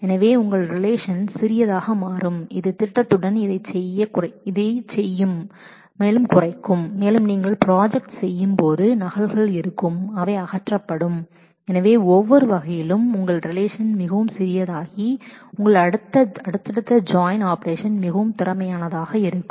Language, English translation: Tamil, So, your relation becomes smaller that will make the with the projection this will reduce and when you project also there will be duplicates which will get removed so, in every way your relation becomes smaller in size and your subsequent join operations would be more efficient